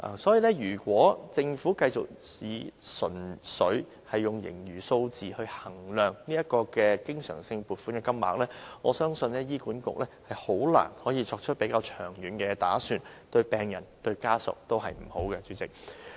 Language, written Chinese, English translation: Cantonese, 所以，如果政府繼續純粹以盈餘的數字來衡量經常性撥款的金額，我相信醫管局很難作出較長遠的打算，代理主席，這樣對病人或家屬也是不好的。, Therefore should the Government continue to evaluate the amount of recurrent funding by relying purely on the surplus figures I believe HA can hardly make longer - term planning . Deputy President neither will it do any good to the patients or their family members